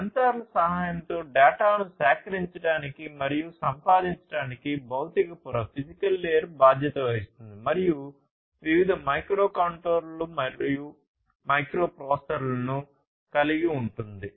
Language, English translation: Telugu, So, as I was telling you the physical layer is responsible for collecting and acquiring data with the help of sensors and these are also equipped with different microcontrollers, microprocessors, and so on